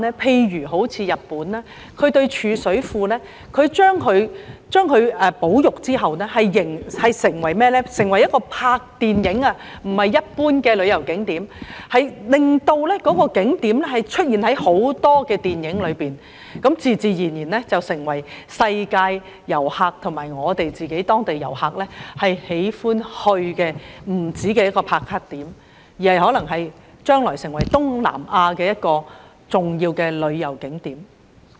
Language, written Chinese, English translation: Cantonese, 他們對貯水庫進行保育後，不會把它變為一般旅遊景點，而是把它變為拍攝電影的場地，令該景點出現在很多電影中，那便自然成為世界各地遊客及當地市民喜歡前往的"打卡"點，將來更可能成為東南亞重要的旅遊景點。, They did not turn a reservoir into a tourist attraction after conservation was done; but rather they turned it into an area for making movies such that the place appeared in many movie scenes and it gradually became a popular check - in spot for tourist worldwide and local people . The reservoir may even become a major tourist spot in Southeast Asia